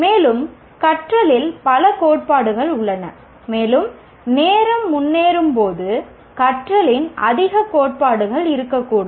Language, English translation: Tamil, And there are likely to be more theories of learning as time progresses also